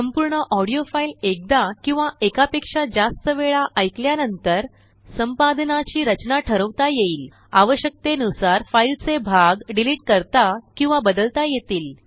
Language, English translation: Marathi, After listening to the entire audio file once or more than once, the structure of the edit can be decided parts of the file can be deleted or moved, as required